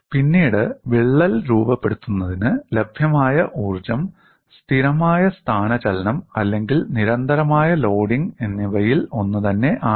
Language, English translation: Malayalam, Later on, we will show whatever the energy available for crack formation, in constant displacement or constant loading is one and the same